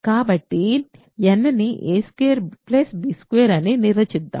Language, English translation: Telugu, So, let us define n to be a squared plus b squared